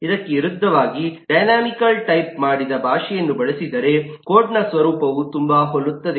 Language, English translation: Kannada, In contrast, if use a dynamically typed language, the, the nature of the code is very similar